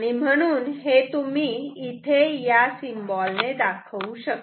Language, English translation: Marathi, So, this you can denote with this symbol